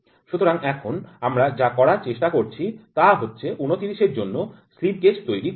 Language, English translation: Bengali, We are trying to build slip gauge for 29